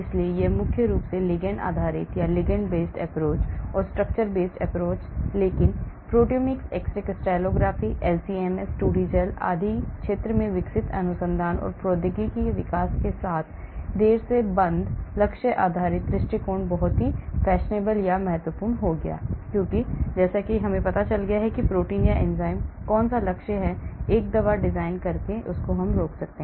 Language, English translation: Hindi, but off late with the evolving research and technology development in the area of proteomics, x ray crystallography, LCMS, 2D gel and so on, the target based approach became very very fashionable or important because I will know which target protein or enzyme I am going to inhibit by designing a drug